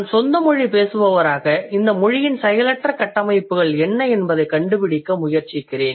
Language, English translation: Tamil, So, I as a native speaker, I try to figure out what could be the possible passive constructions in this language